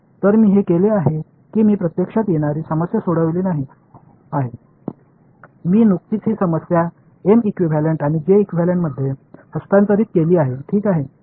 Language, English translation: Marathi, So, I have made it I have not actually solved the problem I have just transferred the problem into M equivalent and J equivalent ok